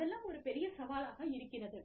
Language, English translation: Tamil, All that, is a big challenge